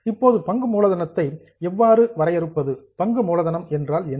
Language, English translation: Tamil, Now how do you define share capital